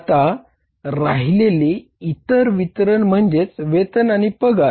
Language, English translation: Marathi, Other disbursements are now wages and salaries